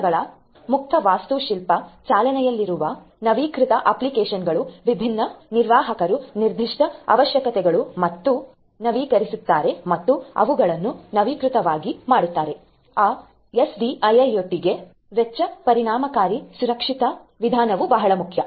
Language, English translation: Kannada, Applications up to date applications having open architecture of devices running different administrators specific requirements and up and making them up to date, in a cost effective secure manner is also very important for SDIIoT